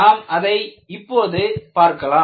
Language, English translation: Tamil, We will have a look at it